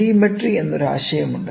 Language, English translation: Malayalam, There is also a concept called as Telemetry